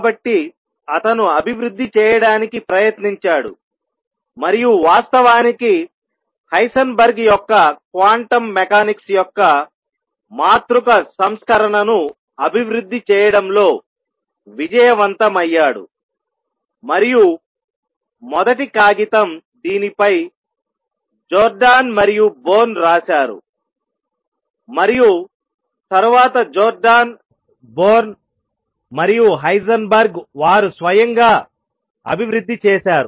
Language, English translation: Telugu, So, he tries to develop and in fact, became successful in developing the matrix version of Heisenberg’s quantum mechanics and first paper was written on this by Jordan and Born and later developed fully by Jordan, Born and Heisenberg himself